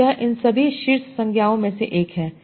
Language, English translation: Hindi, So that is of all these top nouns